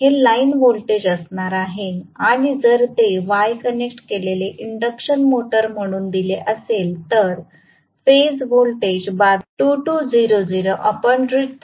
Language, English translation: Marathi, This is going to be the line voltage and if it is given as y connected induction motor